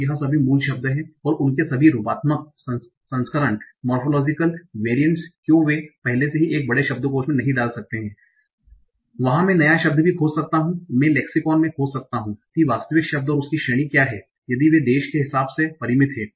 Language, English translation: Hindi, So that is all the root words, all their morphological variants, why can't they all be put in a big lexicon and there I can search, given a new word, I can search in the lexicon, find out what is the actual word and its category